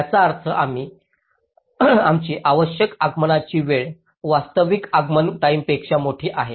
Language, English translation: Marathi, it means our required arrival time is larger than the actual arrival time